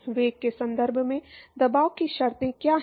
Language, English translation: Hindi, What are the pressure terms in terms of velocity